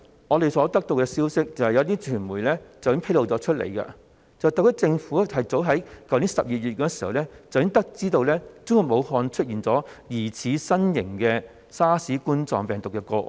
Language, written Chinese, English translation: Cantonese, 我們所得到的消息是，有些傳媒已披露，特區政府早於去年12月已得知中國武漢出現疑似新型冠狀病毒的個案。, According to the information we have got as some media have disclosed the SAR Government learnt of the emergence of suspected cases of novel coronavirus infection in Wuhan China as early as last December